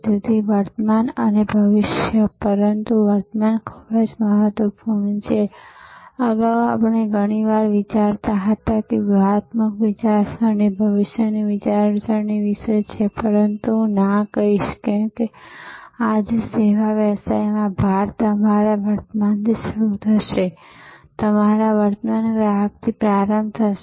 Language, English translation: Gujarati, So, the present and the future, but the present is very important earlier we often used to think strategic thinking is about future thinking, but no I would say today emphasis in a service business will be start with your present, start with your current customer, start with your present position and see that how you can make that position unassailable